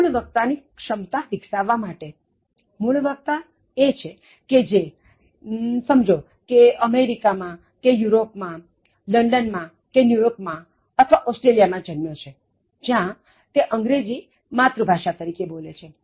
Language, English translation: Gujarati, Native speaker is somebody, who is born, let us say in the United States of America or in United Kingdom, in London or New York or Australia and then where they speak English as the mother tongue